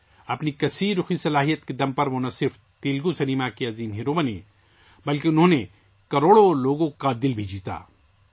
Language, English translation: Urdu, On the strength of his versatility of talent, he not only became the superstar of Telugu cinema, but also won the hearts of crores of people